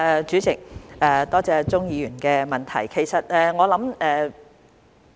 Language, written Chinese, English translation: Cantonese, 主席，多謝鍾議員的補充質詢。, President I thank Mr CHUNG for the supplementary question